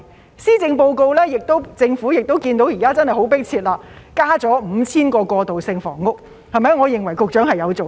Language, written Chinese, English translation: Cantonese, 在施政報告中，政府看到現時問題十分迫切，增加了 5,000 個過渡性房屋單位，我認為局長有做工作。, In the Policy Address the Government sees the urgency of the problem and provides 5 000 additional transitional housing units; I think the Secretary has done some work